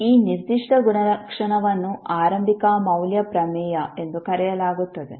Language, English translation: Kannada, So this particular property is known as the initial value theorem